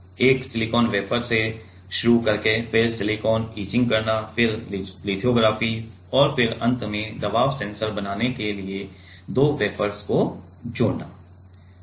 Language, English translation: Hindi, Starting from a silicon wafer then doing silicon etching, then lithography and then finally, bonding two wafers to make the pressure sensor